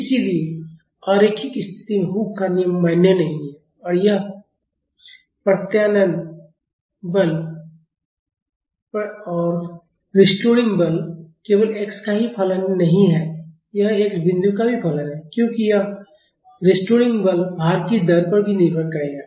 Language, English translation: Hindi, So, in non linear case Hook’s law is not valid and this restoring force, it is not only just a function of x it is also a function of x dot, because this restoring force will be depending on the rate of loading also